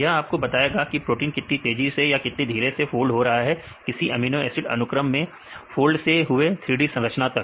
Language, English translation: Hindi, This will tell you the how protein right takes time whether it is slow or fast to fold from the amino acid sequence to the folded 3D structures right